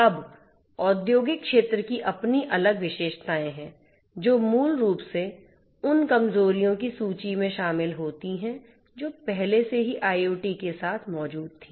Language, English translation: Hindi, Now, the industrial sector has its own different characteristics, which basically adds to the list of vulnerabilities that were already existing with IoT